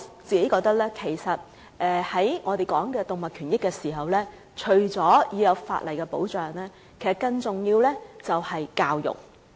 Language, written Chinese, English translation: Cantonese, 在我們討論動物權益的時候，除了法例保障以外，更重要的是教育。, When we discuss animal rights apart from legal protection education is more important